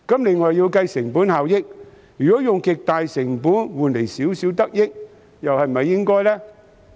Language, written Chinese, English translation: Cantonese, 另外也要計算成本效益，如果要使用極高成本才可換來少許得益，又是否應該做呢？, Then what should we do? . Besides we need to calculate the cost - effectiveness . If a huge cost can exchange for only a little gain is it worthwhile?